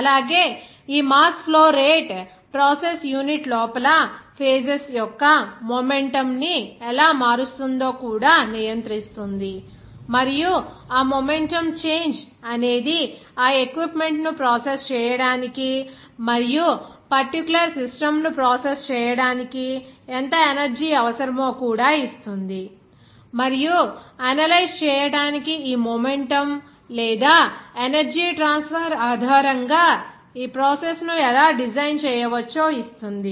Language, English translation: Telugu, Also, this mass flow rate will also govern that how momentum of the phases will be changed inside the process unit and that momentum change will give you that how much energy is required, to process that equipment and also to process that particular system and also to analyze that how this that process can be designed based on this momentum or that energy transfer